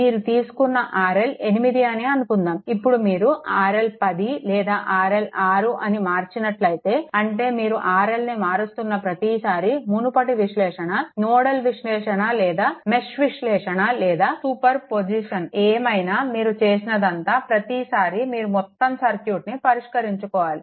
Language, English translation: Telugu, Suppose R L is 8 ohm you have taken, now if you change the R L is equal to 10 or R L is equal to say 6 right, every time you are changing R L that means, previous analysis, nodal analysis or mesh analysis or super position whatever we have done; every time you have to solve the whole circuit every time you have solving the whole circuit, right